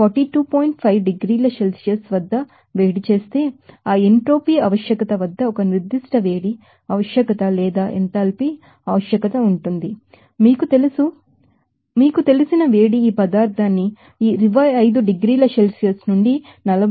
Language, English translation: Telugu, 5 degrees Celsius there will be a certain heat requirement or enthalpy requirement at that entropy requirement is called that you know, heat of you know, sensible to you know converting this material from this 25 degrees Celsius to 42